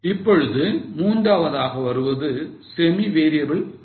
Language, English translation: Tamil, Now the third is semi variable cost